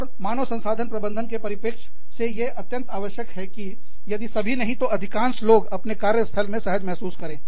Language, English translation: Hindi, And, from the perspective of the human resources manager, it is absolutely essential, that most, if not, all people in the organization, feel comfortable, in their workplace